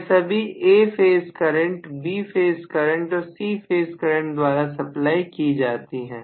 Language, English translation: Hindi, Each of them is going to be supplied by A phase current, B phase current and C phase current respectively